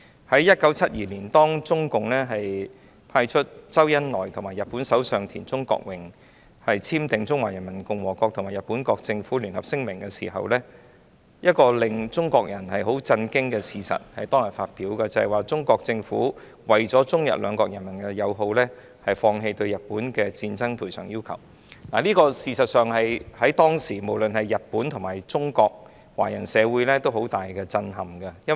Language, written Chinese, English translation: Cantonese, 在1972年，當中共派出周恩來與日本首相田中角榮簽訂《中華人民共和國政府和日本國政府聯合聲明》的時候，亦同時發表了一個使中國人震驚的事實，就是中國政府為了中日兩國人民友好，決定放棄對日本的戰爭賠償要求，而這在當時的日本及中國華人社會均造成了極大震撼。, In 1972 when the Communist Party of China CPC sent ZHOU Enlai to sign the Joint Communique of the Government of Japan and the Government of the Peoples Republic of China with Japanese Prime Minister Kakuei TANAKA an announcement was made that shocked all Chinese people and that is China decided to renounce claims for war reparation from Japan for the sake of friendship between the two countries . The Japanese and Chinese societies were shocked at that time